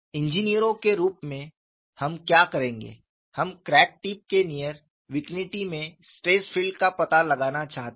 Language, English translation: Hindi, As engineers, what we would do is we want to find out the stress field in the very near vicinity of the crack tip